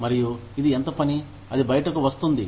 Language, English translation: Telugu, And, this is, how much work, that comes out